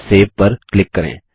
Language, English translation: Hindi, Click Dont Save